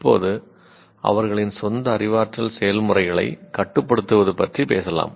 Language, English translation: Tamil, Now we talk about control their own cognitive processes